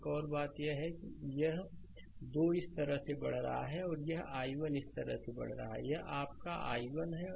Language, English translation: Hindi, Another thing is this i i 2 is moving this way; and this i 1 is moving this way this is your i 1